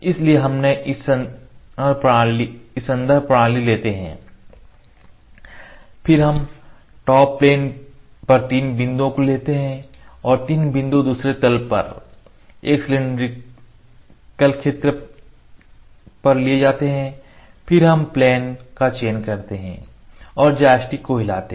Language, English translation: Hindi, So, first we take the reference system then we take three points top plane and three points are taken from the other plane and cylindrical point from a region, then we select the plane and move the joystick